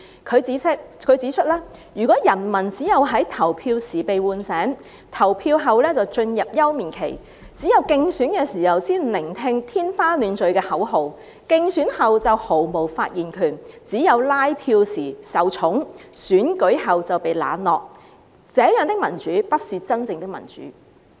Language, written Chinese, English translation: Cantonese, 他指出，如果人民只有在投票時被喚醒，投票後便進入休眠期；只有競選的時候才聆聽天花亂墜的口號，競選後就毫無發言權；只有拉票時受寵，選舉後就被冷落，這樣的民主不是真正的民主。, He pointed out that if the people are awakened only at the time of voting and go into dormancy afterwards; if the people only listen to smashing slogans during election campaigns but have no say afterwards; if the people are only favoured during canvassing but are left out after the election such a democracy is not a true democracy